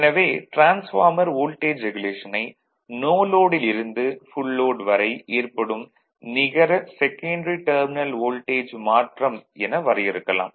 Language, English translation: Tamil, Therefore, the voltage regulation of transformer is defined as the net change in the secondary terminal voltage from no load to full load right